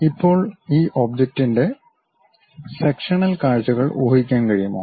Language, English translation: Malayalam, Now, can we guess sectional views of this object